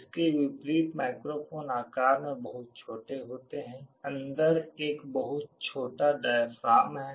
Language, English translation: Hindi, In contrast microphones are very small in size; there is a very small diaphragm inside